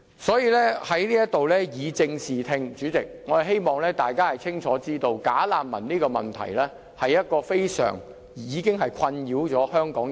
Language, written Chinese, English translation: Cantonese, 所以，我要在這裏以正視聽，主席，並我希望大家清楚知道，"假難民"這個問題已經困擾香港人多時。, Therefore I have to get the understanding back on the right track . President I also hope Members can realize the problem of bogus refugees which has bothered Hong Kong people for long